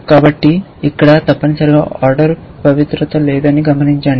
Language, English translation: Telugu, So, notice that there is no order sanctity here essentially